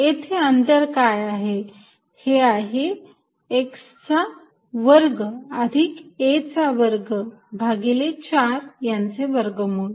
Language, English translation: Marathi, What is this distance, this is x square plus a square by 4 square root